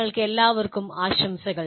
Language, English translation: Malayalam, Greetings to all of you